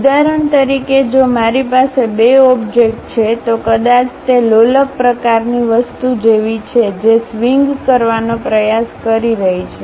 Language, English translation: Gujarati, For example, if I have an object having two materials, perhaps it is more like a pendulum kind of thing which is trying to swing